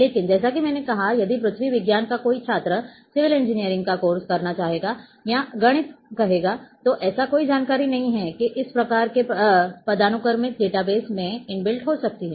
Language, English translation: Hindi, But as I have said if a student of earth science would like to take a course of civil engineering or say mathematics then there are no information can be inbuilt in this type of hierarchical database